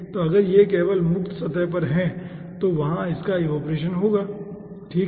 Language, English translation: Hindi, so if it is only at the free surface, then that will be your ah evaporation, okay